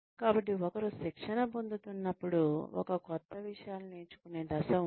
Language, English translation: Telugu, So, when one is going through training, there is a phase in which, one learns new things